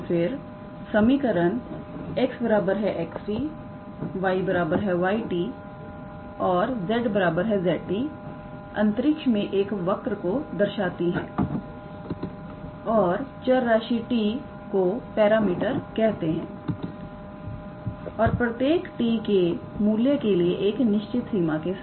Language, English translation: Hindi, So, thus the equation; x equals to x t, y equals to y t and z equals to z t; represents a curve in space and the variable t is called a parameter and for each value of t with a certain range